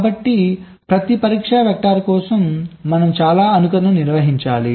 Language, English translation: Telugu, so many simulations we have to carry out for every test vector